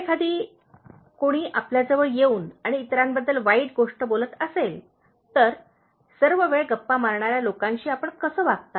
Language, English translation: Marathi, In case, you may ask somebody comes and keep saying bad things about others, how do you deal with these people who gossip all the time